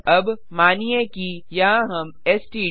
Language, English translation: Hindi, Now, suppose here we missed std